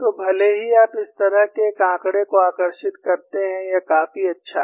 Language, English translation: Hindi, So, even if you draw one such figure, it is good enough